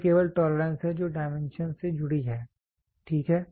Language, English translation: Hindi, It is only the tolerance which is attached to the dimension, ok